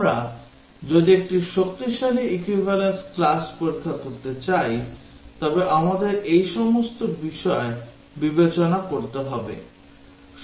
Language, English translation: Bengali, If we want to do a strong equivalence class testing we will have to consider all of these